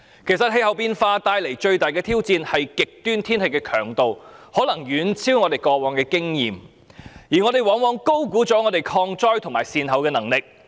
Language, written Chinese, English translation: Cantonese, 氣候變化帶來的最大挑戰，是極端天氣的強度可以遠超我們過往所經歷，而我們往往高估本港抗災及善後的能力。, The greatest challenge brought by climate change is that the intensity of extreme weather can far exceed what we had experienced in the past and we have very often overestimated Hong Kongs competence in countering disasters and dealing with the aftermath